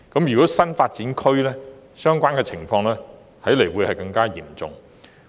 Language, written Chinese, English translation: Cantonese, 如有新發展區，區內設施不足的情況可能更為嚴重。, The problem of insufficient facilities may even be worse in NDAs